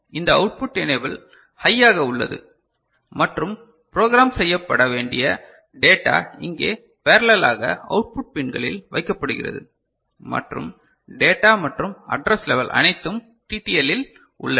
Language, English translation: Tamil, This output enable is at high and data to be programmed is applied at the output pins in parallel over here and data and address level are all at TTL